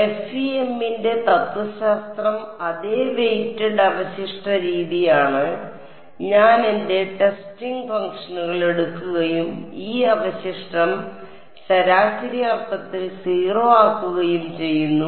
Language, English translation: Malayalam, regardless the philosophy of FEM is the same a weighted residual method I take my testing functions and impose this residual to be 0 in an average sense ok